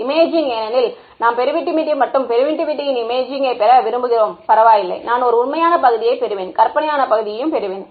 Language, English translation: Tamil, Imaging because we want to get an image of permittivity and permittivity may be complex does not matter, I will get a real part and I will get an imaginary part